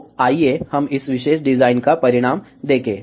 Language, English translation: Hindi, So, let us see the result of this particular design